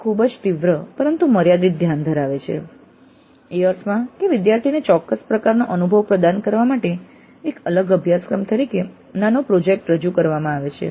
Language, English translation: Gujarati, It has a very sharp but limited focus in the sense that the mini project as a separate course is offered to provide a specific kind of experience to the students